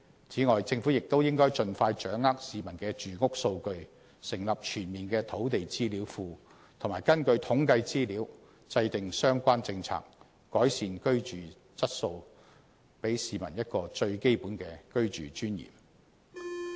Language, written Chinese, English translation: Cantonese, 政府亦應盡快掌握市民的住屋數據，成立全面的"土地資料庫"，並根據統計資料制訂相應政策，改善居住質素，還市民一個最基本的居住尊嚴。, The Government should also take actions expeditiously to obtain the housing data of the people and set up a comprehensive land database so that policies can be formulated accordingly on the basis of these statistical data to improve peoples living conditions and to give them back the right of living in dignity